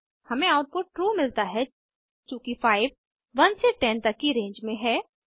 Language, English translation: Hindi, We get the output as true since 5 lies in the range 1 to 10